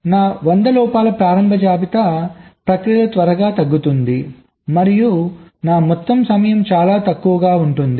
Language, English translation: Telugu, so my initial list of hundred faults quickly gets reduced during the process and my overall time becomes much less ok